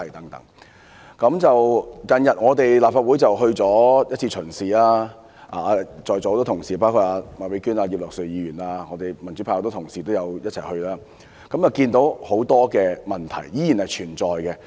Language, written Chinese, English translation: Cantonese, 立法會最近安排了一次視察，在座很多同事，包括麥美娟議員、葉劉淑儀議員及民主派多位議員也一同出席，看到很多問題依然存在。, The Legislative Council has recently arranged for a site visit . It was attended by many Honourable colleagues here including Ms Alice MAK Mrs Regina IP and a number of Members of the pro - democracy camp . We saw that many problems had persisted